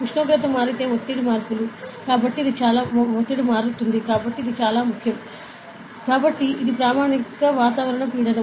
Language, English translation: Telugu, If temperature changes pressure changes, so it is very important ok